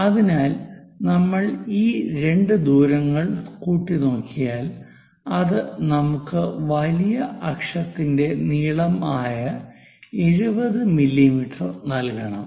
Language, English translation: Malayalam, So, if we are going to add these two distances, it is supposed to give us major axis 70 mm